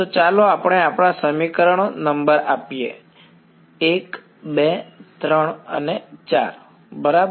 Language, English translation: Gujarati, So, let us number our equations was 1 2 3 4 ok